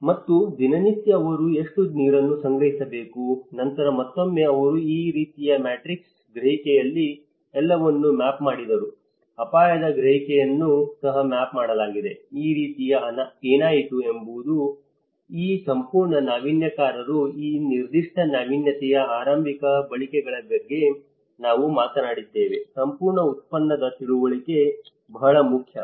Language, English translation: Kannada, And the daily fetching burden to what extent they have to carry on this whole process, and then again they mapped everything in this kind of matrix, the perception; the risk perception has been also have been mapped so, in that way what happened was this whole innovators as we talked about the very initial uses of that particular innovation, there one of the important pioneers and they are matters a lot that how this whole their understanding of the product